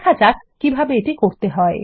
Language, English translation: Bengali, Lets see how to do this